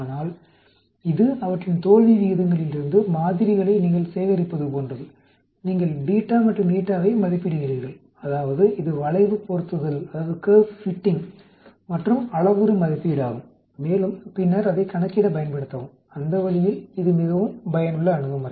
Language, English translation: Tamil, But this is more like you collect the samples from their failure rates; you estimate the beta and eta that means it is curve fitting and parameter estimation and then use that for further calculation, that way this is very useful approach